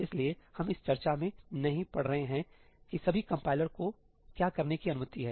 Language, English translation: Hindi, So, we are not getting into that discussion that what all the compiler is allowed to do